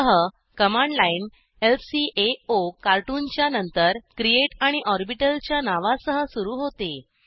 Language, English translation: Marathi, So, the command line starts with lcaocartoon, followed by create and the name of the orbital